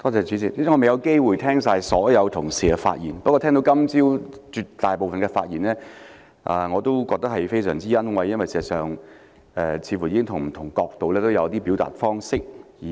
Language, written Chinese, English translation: Cantonese, 主席，我未有機會聆聽所有同事的發言，不過我聽到今早大部分的發言，也感到非常欣慰，因為事實上他們似乎已從不同的角度表達一些意見。, President I did not have the chance to listen to all the speeches of our colleagues but I am very delighted to have listened to most of them this morning because they seem in fact to have expressed some views from different perspectives